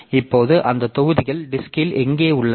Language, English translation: Tamil, How are this disk blocks located